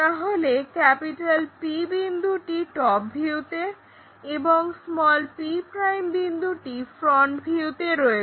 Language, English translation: Bengali, So, P point in the top view p' point in the front view, we will draw